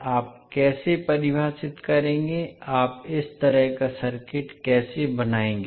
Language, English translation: Hindi, How you will define, how you will draw this kind of circuit